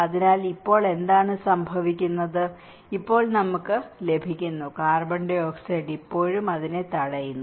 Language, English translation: Malayalam, So, now what is happening is now we are getting, and the CO2 is still blocking it